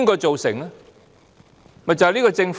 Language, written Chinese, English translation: Cantonese, 就是這個政府。, This very Government